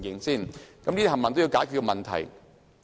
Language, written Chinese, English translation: Cantonese, 這些都是要解決的問題。, These problems have to be solved